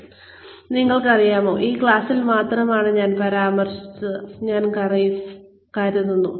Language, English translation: Malayalam, So, you know, or I think, I mentioned in this class only